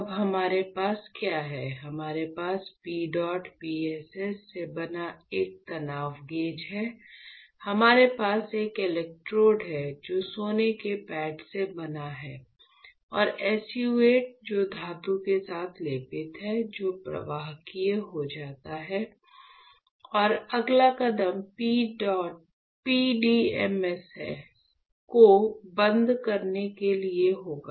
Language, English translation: Hindi, So, now, what we have, we have a strain gauge made up of PEDOT PSS, we have an electrode which is made up of gold pad and SU 8 which is coated with metal that is SU 8 becomes conductive, and next step would sorry would be to strip off the PDMS